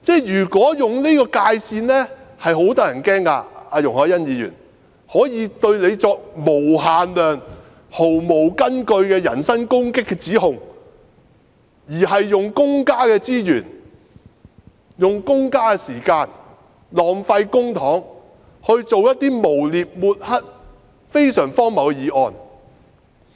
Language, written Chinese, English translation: Cantonese, 容海恩議員，有人可以對你作無限量、毫無根據的人身攻擊般的指控，並浪費公家資源、公家時間和公帑來提出一些誣衊、抹黑、非常荒謬的議案。, Ms YUNG Hoi - yan someone can make unlimited number of completely unfounded accusations which amount to personal attacks against you and waste public resources time and money by proposing some really ridiculous motions which are vilifying and defamatory in nature